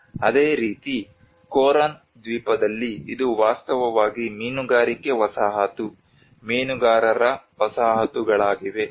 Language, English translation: Kannada, Whereas similarly in the Coron island which is actually the fishing settlement, fishermen settlements